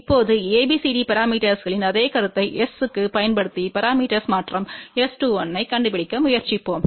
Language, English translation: Tamil, Now, we will try to find out S 21 using the same concept of the ABCD parameters to S parameter transformation